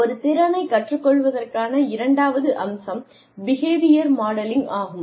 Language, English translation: Tamil, The second aspect of learning a skill, is behavior modelling